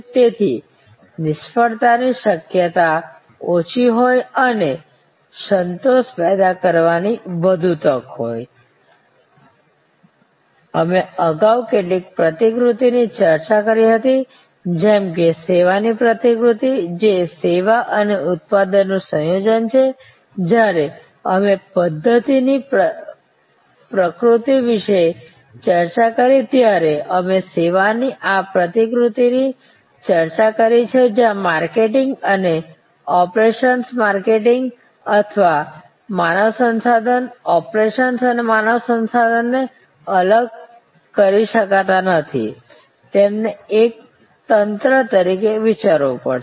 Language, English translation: Gujarati, So, that there is a lesser chance of failure and a higher chance of generating satisfaction, we discussed some models like the servuction model earlier, which is the a combination of service and production, this we discuss this model when we discussed about the systems nature of services, where marketing and operations, marketing or human resource, operations and human resource cannot be segregated, they have to be thought of as a total system